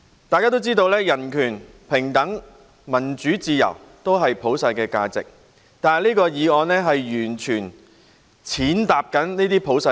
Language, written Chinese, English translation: Cantonese, 大家都知道人權、平等、民主自由是普世價值，但此議案完全加以踐踏。, We all know that human rights equality democracy and freedom are universal values but this motion tramples all over them